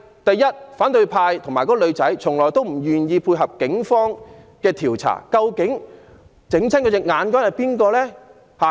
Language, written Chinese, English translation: Cantonese, 然而，反對派和該名傷者一直拒絕配合警方調查，究竟是誰令她的眼睛受傷？, However the opposition camp and the injured person have all along refused to assist in police investigation . Who has actually caused her eye injury?